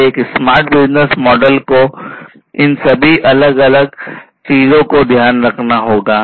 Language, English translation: Hindi, So, a smart business model will need to take into consideration all of these different things